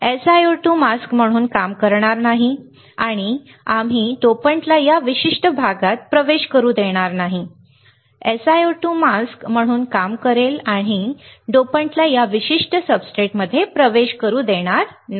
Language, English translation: Marathi, The SiO2 will not or will act as a mask and we will not allow the dopant to enter in this particular region, right, SiO2 will act as a mask and we will not allow the dopant to enter in this particular substrate